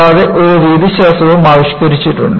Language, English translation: Malayalam, And, I have also evolved the methodology